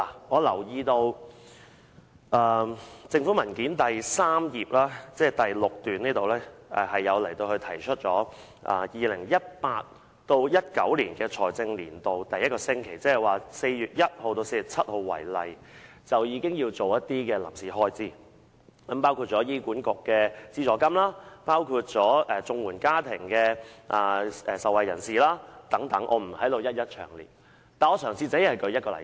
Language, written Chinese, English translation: Cantonese, 我留意到政府文件指出，以 2018-2019 財政年度第一個星期，即以4月1日至4日7日為例，政府便要支付一些開支，包括醫院管理局的資助金、綜援受助家庭的補助金等，我不在此一一詳述，而只舉出一個例子。, I note from the government document that in the first week of the financial year 2018 - 2019 ie . from 1 April to 7 April the Government has to make payments for some expenditure items including subvention payments to the Hospital Authority and payments for Comprehensive Social Security Assistance to households . I will not go into details and will only cite one example